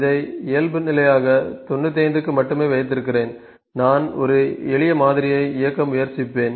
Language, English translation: Tamil, Let me kept default 95 only and I will just cancel let me just try to run a simple model